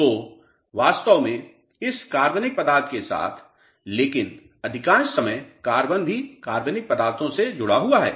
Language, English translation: Hindi, So, truly speaking with this organic content, but most of the time carbon also is associated with organic matter